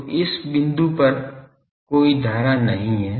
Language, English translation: Hindi, So, in this point there are no current